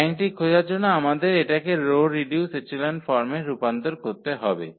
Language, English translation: Bengali, For finding the rank we have to convert to the row reduced echelon form